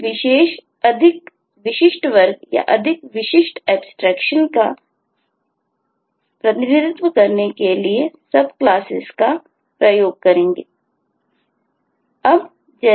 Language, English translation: Hindi, we will use subclass to represent specialised, more specific class or more specific abstraction